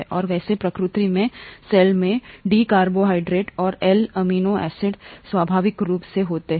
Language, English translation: Hindi, And by the way, in nature in the cell, there are D carbohydrates and L amino acids naturally occurring